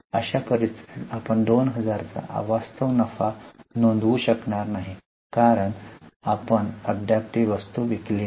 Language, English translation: Marathi, In such scenario, we will not record unrealized profit of 2,000 because we have not yet sold the item